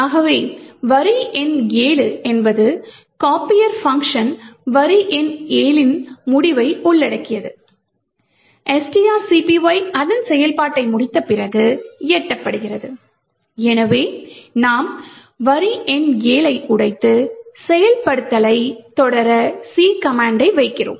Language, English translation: Tamil, So, line number 7 comprises of the end of the copier function line number 7 gets is reached after string copy completes its execution, so we could break line number 7 and in order to continue the execution we put the command C